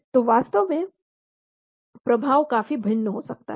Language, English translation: Hindi, So the effect could be quite different actually